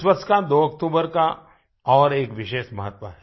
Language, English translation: Hindi, The 2nd of October, this year, has a special significance